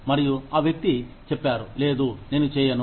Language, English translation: Telugu, And, the person says, no, I will not do it